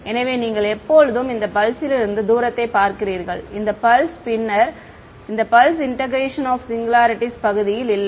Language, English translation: Tamil, So, you are always looking at the distance from this pulse then this pulse then this then this pulse, this is the region of integration no singularities